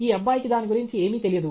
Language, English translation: Telugu, This boy does not know anything about it okay